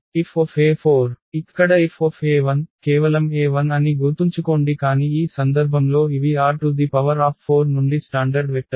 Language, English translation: Telugu, So, here F e 1, so e 1 just remember that e 1 is nothing but in this case these are the standard vectors from R 4